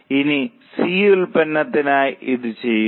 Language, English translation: Malayalam, Now do it for product C